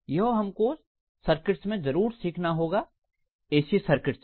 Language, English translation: Hindi, This is what you must have learned in circuits, AC circuits